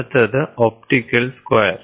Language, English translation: Malayalam, Next is optical square